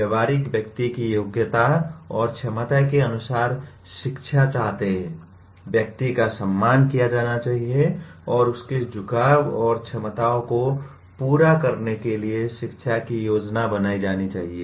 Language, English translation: Hindi, Pragmatists want education according to aptitudes and abilities of the individual; individual must be respected and education planned to cater to his inclinations and capacities